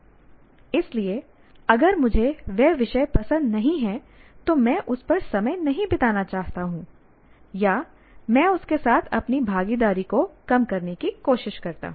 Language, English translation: Hindi, So what happens if I don't like the subject, I don't want to spend time on that or I try to minimize my involvement with that